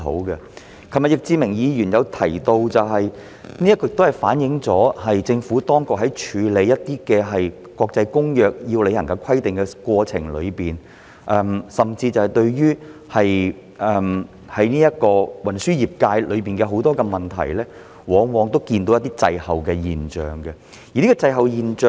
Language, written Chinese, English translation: Cantonese, 易志明議員昨天亦提到，此情況反映出政府在處理一些國際公約中須履行的規定的過程中，甚至對於運輸業界很多問題，往往呈現滯後的現象。, As Mr Frankie YICK also mentioned yesterday this situation reflects that the Government often finds itself behind the curve when dealing with some provisions of international conventions that require our implementation and even in dealing with many issues of the transport industry